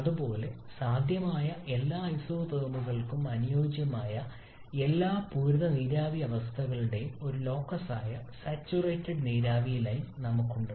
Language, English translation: Malayalam, Similarly we have that saturated vapour line this one which is a locus of all the saturated vapour state corresponding to all possible isotherms